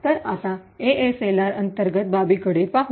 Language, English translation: Marathi, So, will now look at the internals of ASLR